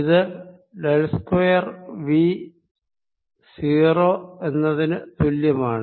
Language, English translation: Malayalam, if i take del square u, v is equal to zero